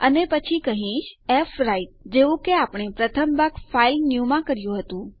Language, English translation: Gujarati, And then Ill say fwrite like we did in our first part to filenew